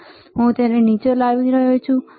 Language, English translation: Gujarati, Now I am bringing it down